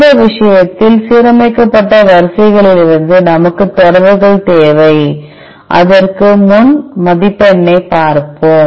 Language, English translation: Tamil, In our case we need the sequences from the aligned sequences, before that we will look into the score